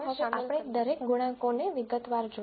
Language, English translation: Gujarati, So, now let us look at each of the coefficients in detail